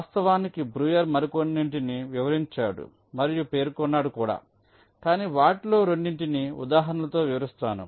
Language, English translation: Telugu, in fact, breuer illustrated and stated a few more, but we are just illustrating two of them with example so that you know exactly what is being done